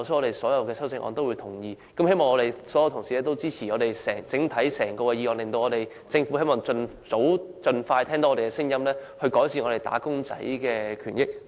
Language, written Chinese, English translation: Cantonese, 因此，我們會贊成各項修正案，希望所有同事均會支持整項議案，讓政府盡快聽到我們的聲音，改善"打工仔"的權益。, Therefore we will support the amendments and hope all Honourable colleagues will support this motion so that the Government will hear our voices as soon as possible and improve the rights and interests of wage earners